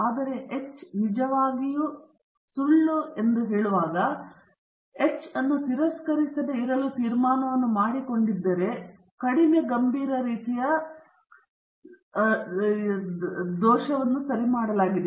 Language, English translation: Kannada, But when H naught is false actually, and you have made a decision not to reject H naught, a less serious type II error has been made okay